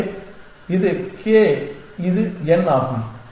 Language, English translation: Tamil, So, this is k and this is n